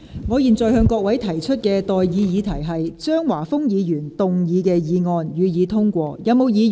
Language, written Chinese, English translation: Cantonese, 我現在向各位提出的待議議題是：張華峰議員動議的議案，予以通過。, I now propose the question to you and that is That the motion moved by Mr Christopher CHEUNG be passed